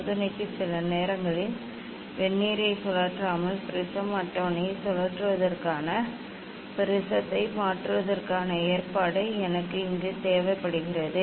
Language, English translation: Tamil, for the experiment sometimes I need the provision to change the prism to change the to rotate the prism table without rotating the Vernier